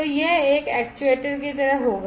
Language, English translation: Hindi, So, this will be like an actuator, right